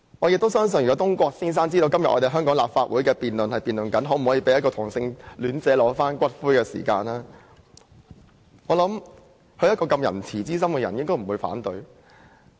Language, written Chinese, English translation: Cantonese, 如果東郭先生知道香港的立法會今天辯論可否讓一位同性戀者領取其伴侶的骨灰，我相信懷着仁慈之心的他應不會反對。, If Mr Dongguo knew that the Legislative Council of Hong Kong was debating whether or not a homosexual should be allowed to claim the ashes of his deceased partner I trust he who was kind - hearted would not oppose it . Sometimes our exchanges during debates are like flashes of lightning